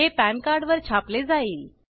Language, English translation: Marathi, This will be printed on the PAN card